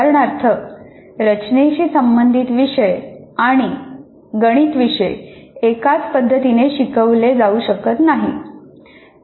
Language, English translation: Marathi, For example, a design oriented course and a mathematics course cannot be taught in similar styles